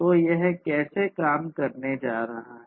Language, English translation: Hindi, So, this is how it is going to work